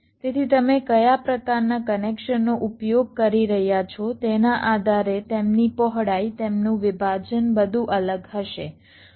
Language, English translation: Gujarati, so depending on which layer your using, the kind of connection there, width, their separation, everything will be different